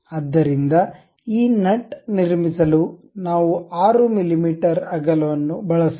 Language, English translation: Kannada, So, let us use 6 mm as the width to construct this nut